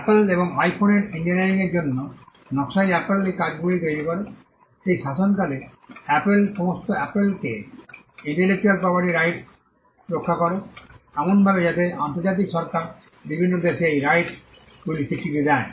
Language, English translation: Bengali, The regime where Apple creates these works that is the design for the iPhone and the engineering of the iPhone, the regime protects all of Apples intellectual property rights; in such a way that the international regime recognizes these rights in different countries